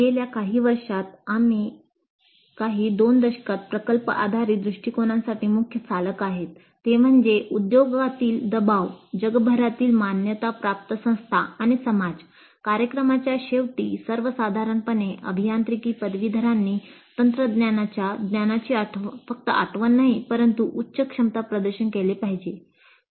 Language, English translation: Marathi, Now the key drivers for project based approach over the last few years, couple of decades, have been pressure from industry, accreditation bodies worldwide and society in general that engineering graduates must demonstrate at the end of the program not just memorized technical knowledge but higher competencies